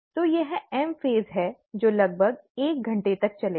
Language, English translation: Hindi, So this is the M phase, which will last for about an hour